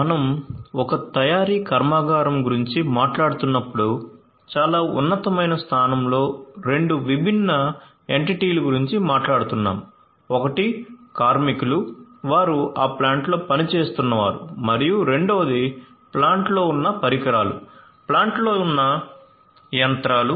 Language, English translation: Telugu, When we are talking about a manufacturing plant, at a very high level we are talking about 2 distinct entities one is the workers who are working in that plant and second is basically the equipments that are there in the plant, the machineries that are there in the plant